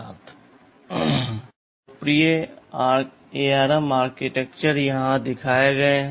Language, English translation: Hindi, So, some of the popular ARM architectures are shown here